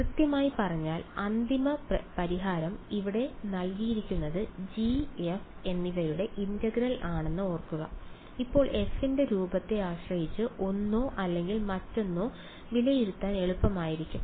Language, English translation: Malayalam, Exactly so, remember the final solution is given here the integral of G and F, now depending on the kind of form of f one or the other will be easier to evaluate